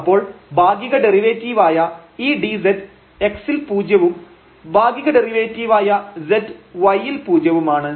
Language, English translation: Malayalam, So, the partial derivative with respect to x is 1 and the partial derivative with respect to y is 2